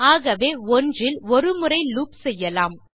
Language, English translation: Tamil, So loop once at 1